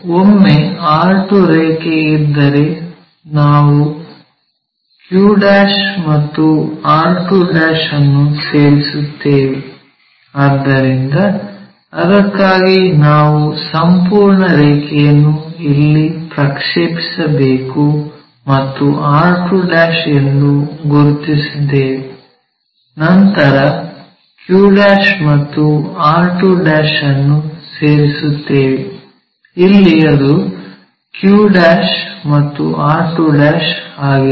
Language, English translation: Kannada, Once r2 line is there, join q' and r2'; so for that we have to project this entire line here we have located r2', then join q' and r' r2'; q' here, r2' here